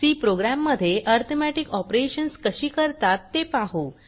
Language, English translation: Marathi, Here is the C program for arithmetic operators